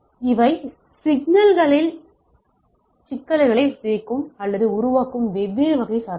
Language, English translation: Tamil, So, these are the different category of noise which distorts or creates problem in the signal right